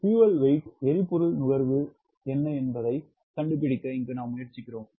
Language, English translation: Tamil, right, we are trying to find out what is the w f fuel consumption